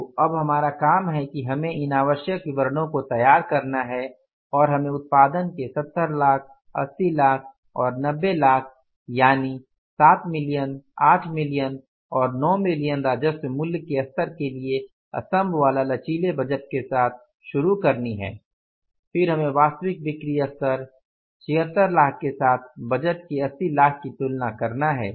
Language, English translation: Hindi, So, now our job is we have to prepare these required statements and we have to start with preparing the columnar flexible budget for the three levels of production that is the 70 lakhs means that is for the 7 millions 8 millions and 9 millions worth of the revenue and then we will have to make a comparison between the actual sales activity level that is 76 lakhs revenue and then comparing it with the 80 lakhs of the budget so budget we are given here is 80 lakhs is 76 lakhs